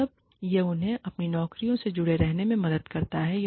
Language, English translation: Hindi, Then, it helps them, stay engaged with their jobs